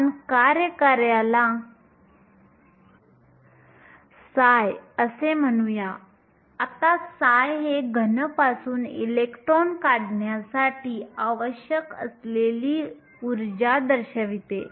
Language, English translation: Marathi, We will call the work function psi now psi represents the energy that is required in order to remove an electron from a solid